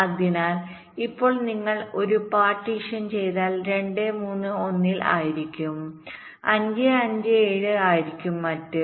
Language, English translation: Malayalam, so now if you do a partition, two, three will be in one, five, seven will be in the other